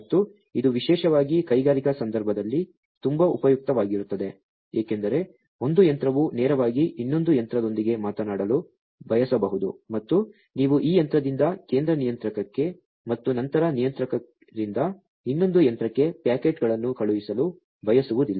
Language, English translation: Kannada, And this will be very much useful particularly in the industrial context, because the one machinery might want to talk directly to another machinery and you do not want to you know send the packets from this machinery to the central controller and then from the controller to the other machine